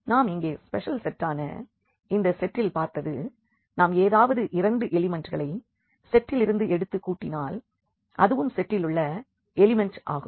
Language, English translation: Tamil, So, here what we have seen in this set which is a kind of a special set if we take any two elements of the set and add them that is also an element of the set